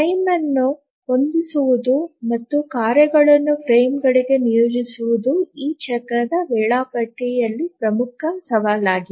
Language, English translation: Kannada, Setting up the frame and assigning the tasks to the frames is a major challenge in this cyclic scheduling